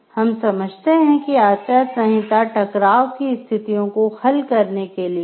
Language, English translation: Hindi, And, we understand codes of ethics is for resolving situations of conflict